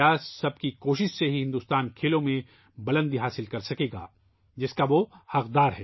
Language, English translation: Urdu, It is only through collective endeavour of all that India will attain glorious heights in Sports that she rightfully deserves